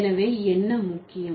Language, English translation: Tamil, So what is important